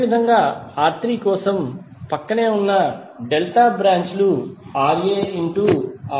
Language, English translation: Telugu, Similarly for R3, the adjacent delta branches are Rb Ra